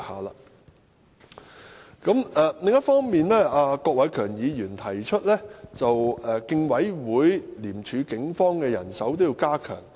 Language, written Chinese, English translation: Cantonese, 另一方面，郭偉强議員提出要加強競爭事務委員會、廉政公署和警方的人手。, On the other hand Mr KWOK Wai - keung proposes to strengthen the manpower of the Competition Commission the Independent Commission Against Corruption and the Police